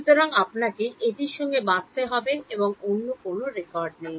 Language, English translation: Bengali, So, you have to live with it there is no other records